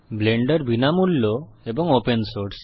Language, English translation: Bengali, Blender is Free and Open Source